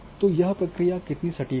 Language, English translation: Hindi, So, how accurate that process was